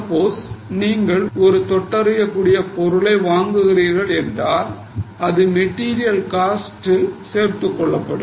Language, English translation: Tamil, Suppose you are purchasing any other tangible item that will be included in the material cost